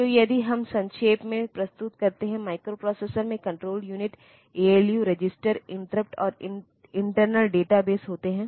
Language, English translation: Hindi, So, if we summarize; so, this microprocessor consists of control unit, ALU, registers, interrupts and internal database